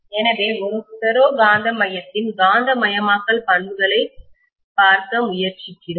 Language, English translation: Tamil, So let us try to look at the magnetization characteristics of a ferromagnetic core, right